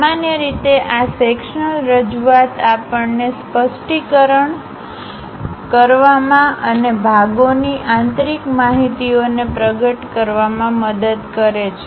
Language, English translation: Gujarati, Usually this sections representation helps us to improve clarity and reveal interior features of the parts